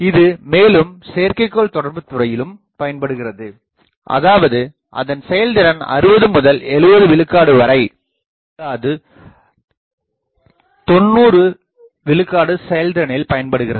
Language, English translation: Tamil, But, invariably used in satellite communications etcetera where we want not 60 70 percent efficiency something like 90 percent efficiency